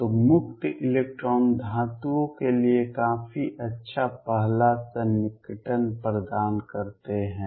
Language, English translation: Hindi, So, free electrons provide a reasonably good first approximation for metals